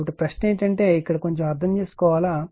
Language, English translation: Telugu, So, question is that that here little bit you have to understand right